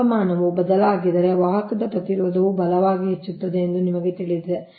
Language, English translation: Kannada, if you know that if temperature varies then conductor resistance also will increase